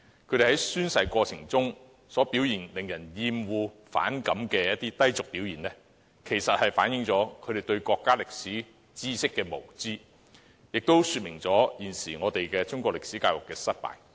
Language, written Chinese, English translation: Cantonese, 他們在宣誓過程中令人厭惡和反感的低俗表現，反映出他們對國家歷史知識的無知，亦說明現時中國歷史科教育的失敗。, Their offensive and vulgar behaviour during the oath - taking well reflected their ignorance of the history of our country as well as the failure of the present education system in teaching Chinese history